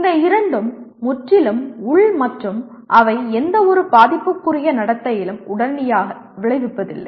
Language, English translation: Tamil, These two are completely internal and they do not immediately kind of result in any affective behavior